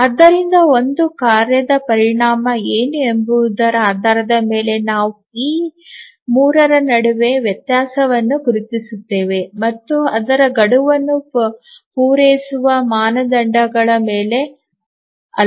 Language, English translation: Kannada, So, we distinguish between these three based on what is consequence of a task not meeting its deadline